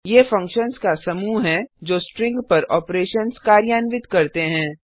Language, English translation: Hindi, These are the group of functions implementing operations on strings